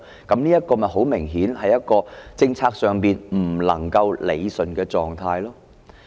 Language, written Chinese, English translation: Cantonese, 這很明顯就是一個在政策上不能夠理順的狀態。, This is obviously a situation that the policy fails to rationalize